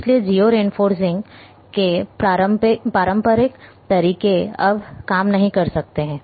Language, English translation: Hindi, So, conventional methods of geo referencing may not work now